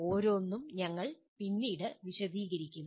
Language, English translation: Malayalam, We will be elaborating on each one later